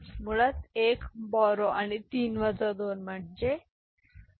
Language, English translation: Marathi, So, basically 1 borrow and 3 minus 2 is 1